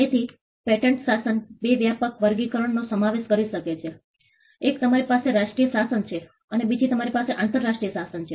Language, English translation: Gujarati, So, the patent regime can comprise of two broad classification; one you have the national regime and then you have the international regime